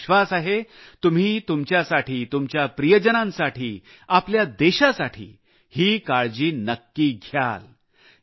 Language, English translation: Marathi, I am sure that you will take these precautions for yourself, your loved ones and for your country